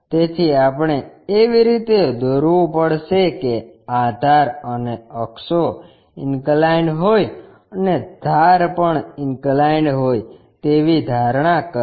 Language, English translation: Gujarati, So, we have to construct in such a way that base and axis are inclined and edge also supposed to be inclined